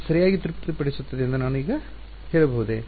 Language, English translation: Kannada, Now can I say that this satisfies right